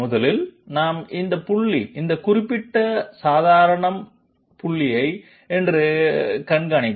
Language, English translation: Tamil, 1st of all we observe that this particular normal to this to this point say